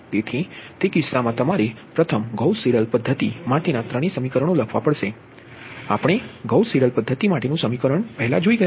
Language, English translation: Gujarati, so in that case you have to, you have to right down first all the three equations for the gauss seidel method